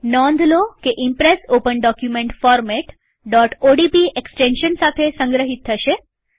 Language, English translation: Gujarati, Note that the Impress Open Document Format will be saved with the extension .odp